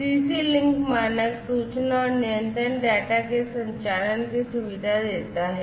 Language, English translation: Hindi, So, CC link standard facilitates transmission of information and control data